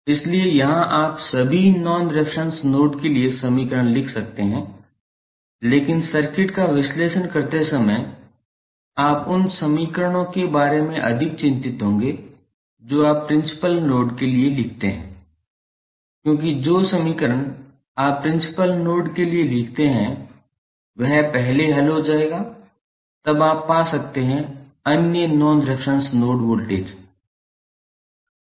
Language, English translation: Hindi, So, here you can write equations for all the non reference nodes but while analyzing the circuit you would be more concerned about the equations you write for principal nodes because the equations which you write for principal node would be solved first then you can find the value of other non reference nodes voltage value